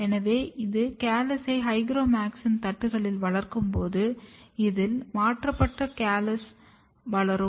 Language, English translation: Tamil, So, when I grow this callus on hygromycin plates, so this, callus which are transformed they will grow